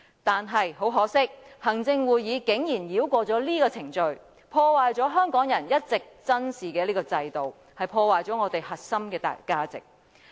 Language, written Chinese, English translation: Cantonese, 但是，很可惜，行會竟然繞過這個程序，破壞了香港人一直珍視的制度和我們的核心價值。, However regretful that the Executive Council came round this procedure and destroyed the system and core values that have long been treasured by the Hong Kong people